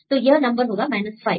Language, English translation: Hindi, So, this number will be 5 minus